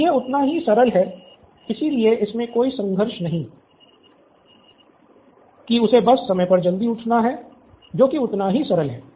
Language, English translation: Hindi, So this is as simple as that, so there is no conflict in this he just has to wake up early to be on time that is as simple as that